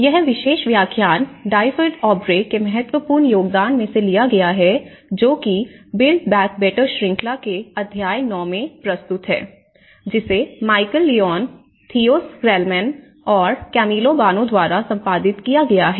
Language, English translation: Hindi, So, this particular lecture has been derived from one of the important contribution from Dyfed Aubrey, which is the chapter 9 in build back better volume, which has been edited by Michal Lyons and Theo Schilderman with Camillo Boano